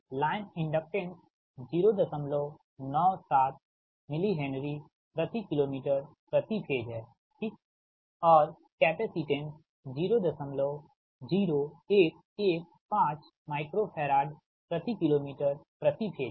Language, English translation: Hindi, the line inductance is point nine, seven mili henry per kilo meter right per phase, and capacitance is point zero, one, one, five micro farad per kilo meter per phase